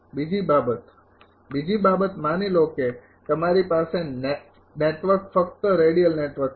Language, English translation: Gujarati, Second thing is second thing is suppose you have a network take radial network only